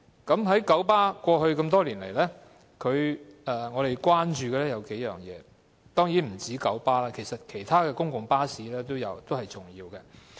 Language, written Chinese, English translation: Cantonese, 對於九巴的服務，過去多年來，我們關注的有數點，這當然不單是九巴，其他公共巴士公司的服務也是重要的。, Speaking of the services of KMB over the years we have been concerned about several points and of course these concerns do not relate only to KMB as the services of other public bus companies are important too